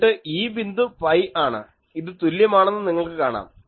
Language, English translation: Malayalam, Then this point is pi, you see it is symmetric